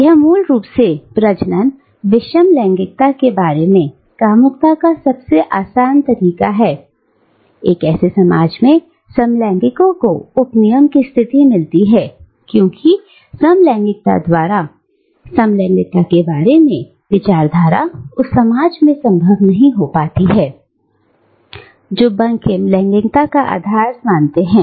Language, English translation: Hindi, It basically means regarding reproductive heterosexuality as the only normal mode of sexuality in such a society, homosexuals take up the position of the subaltern because discourse generation about homosexuality, by the homosexuals, become impossible in that society, which regards heterosexuality as the norm